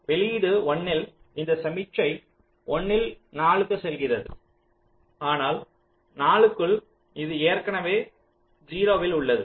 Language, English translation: Tamil, this, this signal is going one at four, but by four it is already at zero